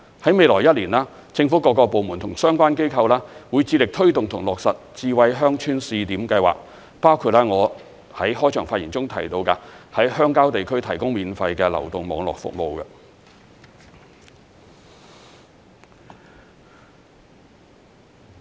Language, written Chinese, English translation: Cantonese, 在未來一年，政府各個部門及相關機構會致力推動和落實智慧鄉村試點計劃，包括我在開場發言中提到，在鄉郊地區提供免費流動網絡服務。, In the coming year various government departments and the related organizations will strive to promote and implement the Smart Village Pilot initiatives including the provision of free mobile network services in rural areas which I mentioned in my opening speech